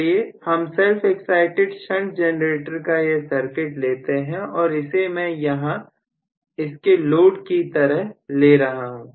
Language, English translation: Hindi, So, let say I am taking up the circuit of a self excited generator shunt and I am going to take this as the load